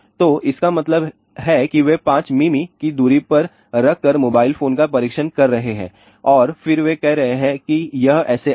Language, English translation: Hindi, So, that means, they are testing the mobile phone by keeping 5 mm away and then they are saying this is the SAR value